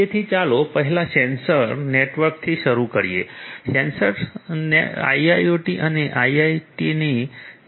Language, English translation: Gujarati, So, first let us start with the sensor network, sensor the network sensors etcetera are key to IoT and IIoT